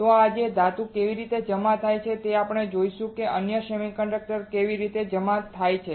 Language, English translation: Gujarati, So, how this metal is deposited today we will learn how other semiconductors are deposited